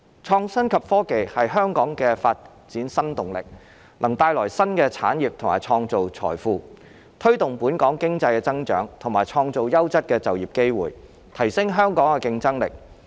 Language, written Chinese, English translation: Cantonese, 創新及科技是香港的發展新動力，能帶來新的產業及創造財富，推動本港經濟增長和創造優質的就業機會，提升香港的競爭力。, IT is the new driving force for Hong Kongs development bringing new industries and creating wealth boosting Hong Kongs economic growth and creating quality employment opportunities as well as enhancing the competitiveness of Hong Kong